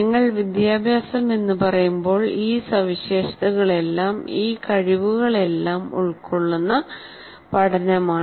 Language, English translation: Malayalam, That's what we, when you say education, it is a learning with all these features, all these abilities constitutes education